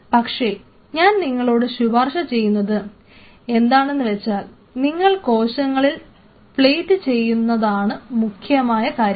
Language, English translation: Malayalam, But what I will recommend here is something else where you are plating the cells that is important